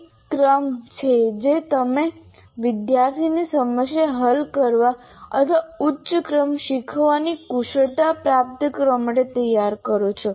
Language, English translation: Gujarati, There is a sequence in which you have to prepare the student to be able to become problem solvers or acquire higher order learning skills